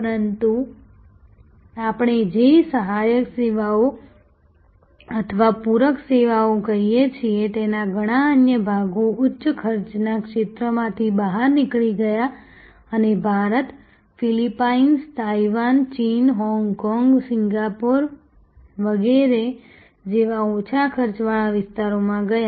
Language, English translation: Gujarati, But, many of the other parts of what we call auxiliary services or supplementary services moved out of the higher cost zones and moved to lower cost areas like India, Philippines, Taiwan, China, Hong Kong, Singapore and so on